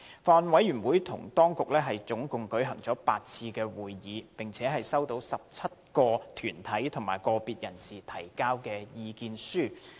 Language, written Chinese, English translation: Cantonese, 法案委員會與政府當局一共舉行了8次會議，並收到17個團體及個別人士所提交的意見書。, The Bills Committee held eight meetings with the Administration and received written views from 17 organizationsindividuals